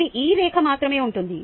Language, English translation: Telugu, this, just this line will be there